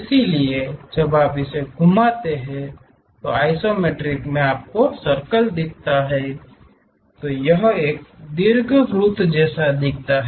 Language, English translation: Hindi, So, in isometric views your circle when you rotate it, it looks like an ellipse